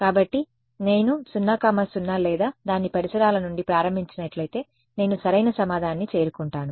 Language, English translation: Telugu, So, if I started from 0 0 or its neighborhood I reach the correct answer